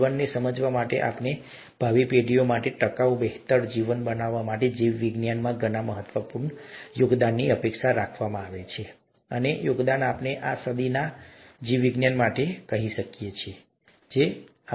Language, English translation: Gujarati, So many important contributions are expected to be made in biology to understand life ourselves, and to make a sustainable better life for ourselves as well as our future generations, and those contributions are being made as we speak in this century for biology, or century of biology